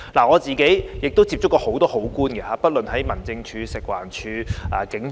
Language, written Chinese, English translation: Cantonese, 我自己接觸過很多好官，不論在民政事務處、食物環境衞生署抑或警方。, I myself have met many good government officials from the Home Affairs Department HAD the Food and Environmental Hygiene Department and the Police Force